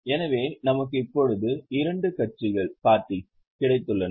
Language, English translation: Tamil, So, we have got two parties now